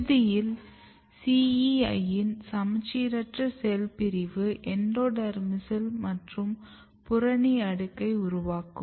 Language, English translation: Tamil, the asymmetric cell division of CEI and eventually a layer of endodermis and cortex formation